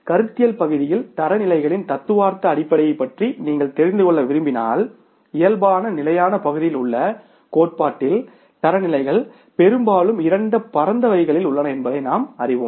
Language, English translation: Tamil, In conceptual part in the theory, in the normal standards part if you want to know about the theoretical basis of the standards, then we know that the standards are largely of the two broad categories